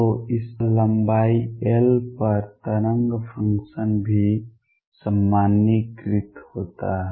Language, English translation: Hindi, So, the wave function is also normalized over this length L